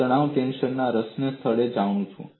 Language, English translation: Gujarati, I know the stress tensor at the point of interest